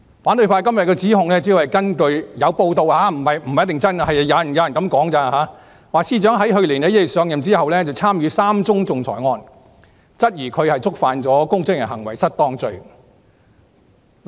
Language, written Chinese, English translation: Cantonese, 反對派今天的指控，主要是根據有報道——這不一定是真的，只是有人指出——指司長在去年1月上任後，參與3宗仲裁個案，質疑她觸犯了公職人員行為失當罪。, According to the allegation made by the opposition camp today it is reported―not necessarily true but just pointed out by some people―that the Secretary for Justice had participated in three arbitration cases after assuming office in January last year . The opposition camp queries if she is guilty of misconduct in public office